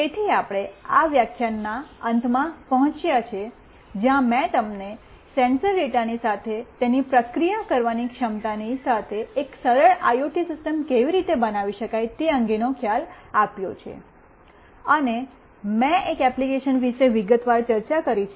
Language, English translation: Gujarati, So, we have come to the end of this lecture, where I have given you an idea of how an simple IoT system could be built along with its processing capability, along with sensor data, and I have discussed in detail about one of the applications that is object tracking